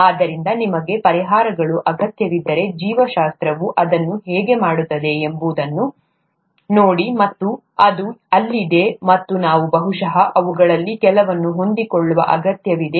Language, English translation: Kannada, So if you need solutions, just look at how biology does it, and it is there and we probably need to adapt to some of those